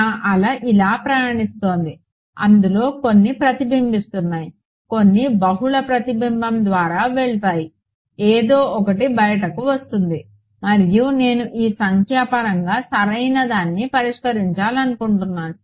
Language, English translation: Telugu, My wave is travelling like this, some of it will get reflected some of it will go through multiple reflection will happen something will come out and I want to solve this numerically right